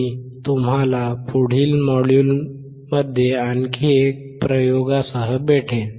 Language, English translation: Marathi, I will see you in the next module with another set of experiments